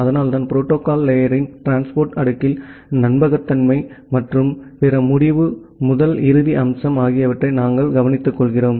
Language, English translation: Tamil, And that is why we have looked that in the transport layer of the protocol stack we take care of the reliability and other end to end aspect